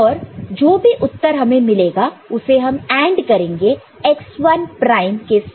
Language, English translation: Hindi, And then whatever result you get, you AND it with x1 prime